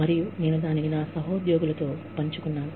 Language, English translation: Telugu, And, I shared that, with my colleagues